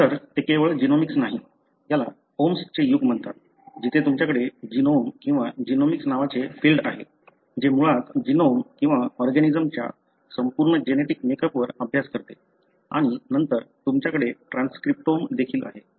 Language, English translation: Marathi, In fact this is not only genomics; this is called as the age of “omes”, where you have a field called as genome or genomics, which basically study on the genome or the entire genetic makeup of the organism and then you also have what is called as transcriptome